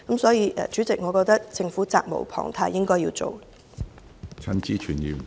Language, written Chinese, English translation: Cantonese, 所以，主席，我認為政府責無旁貸，應該採取行動。, This being the case President I think the Government is duty - bound to take actions